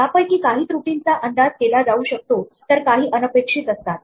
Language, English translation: Marathi, Some of these errors can be anticipated whereas, others are unexpected